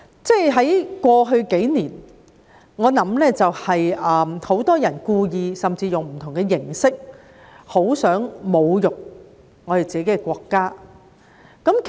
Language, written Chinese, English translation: Cantonese, 在過去數年，很多人故意甚至用不同的形式來侮辱自己的國家。, In the past few years many people have intentionally and even in different forms tried to insult their own country